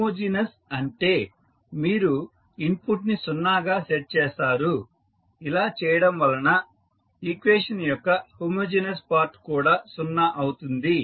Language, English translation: Telugu, Homogeneous means you set the input to 0, so we get the homogeneous part of the equation to 0